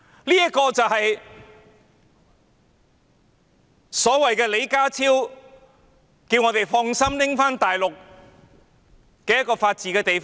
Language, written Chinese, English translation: Cantonese, 這個正是李家超局長叫我們可以放心其法治的地方。, This is precisely the place where Secretary John LEE tells us to rest assured about its rule of law